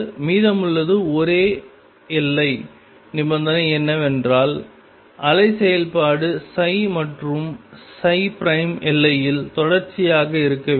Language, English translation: Tamil, The only other boundary condition that remains is that the wave function psi and psi prime be continuous at the boundary